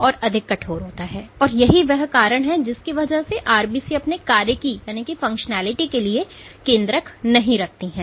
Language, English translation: Hindi, So, it is super stiff, and that is the reason why RBCs do not have the nucleus for their function